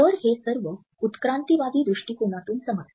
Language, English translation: Marathi, So, this all makes sense from an evolutionary perspective